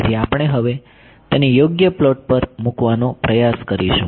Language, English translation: Gujarati, So, we will try to put this on a proper plotting now ok